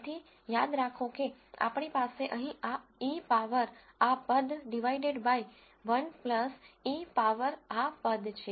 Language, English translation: Gujarati, So, remember we had this e power this term divided by 1 plus e power this term right here